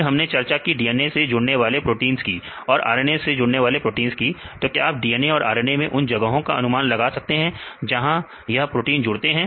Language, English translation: Hindi, Then we discussed about the DNA binding proteins or the RNA binding proteins whether you can identify the sites this is binding or not